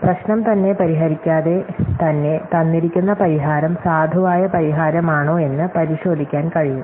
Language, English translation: Malayalam, So, without having to solve the problem itself, it can just check with a given solution is a valid solution or not